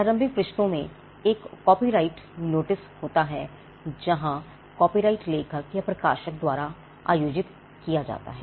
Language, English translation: Hindi, Publication you would have seen in many books there is a copyright notice in the initial pages where the copyright is held by the author or by the publisher